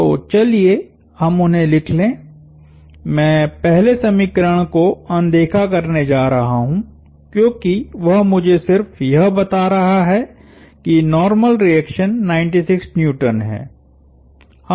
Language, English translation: Hindi, So, let us write them out, write them down, I am going to ignore the first equation, because that is just telling me that the normal reaction is 96 Newtons